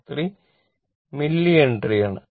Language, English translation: Malayalam, 073 Mille Henry right